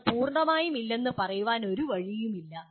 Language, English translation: Malayalam, There is no way you can say that one is totally absent